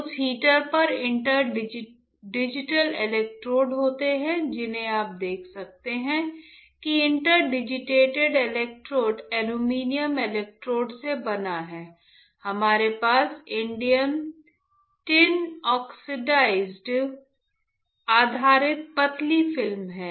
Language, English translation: Hindi, On that heater, there are in inter digital electrodes which are you can see made up of aluminium electrodes on this inter digitated electrodes we have indium tin oxide based thin film